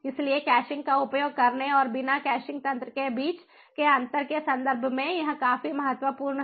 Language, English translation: Hindi, so it is quite significant in terms of the difference between using caching and without caching mechanism